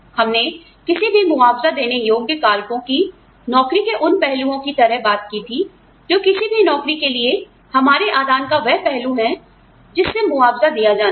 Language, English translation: Hindi, We talked about, compensable factors as, those aspects of any job, that or the, those aspects of our inputs, to any job, that are to be compensated